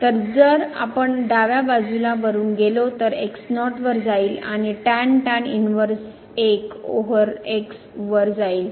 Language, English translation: Marathi, So, if we go from the left hand side as goes to 0 inverse 1 over